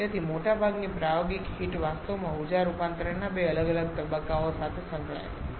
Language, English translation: Gujarati, So, most of the practical heating is actually are associated with 2 different steps of energy conversion